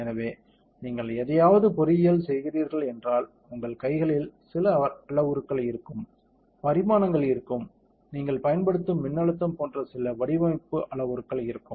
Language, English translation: Tamil, So, if you are engineering something there will be few parameters that are in your hands right, few design parameters like the dimensions, the voltage that you apply